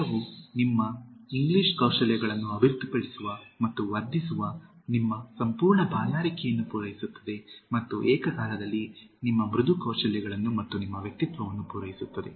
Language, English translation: Kannada, The book will satisfy your full thirst of Developing and Enhancing your English Skills and simultaneously your Soft Skills and along with your personality